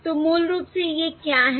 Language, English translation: Hindi, So these are basically, what are these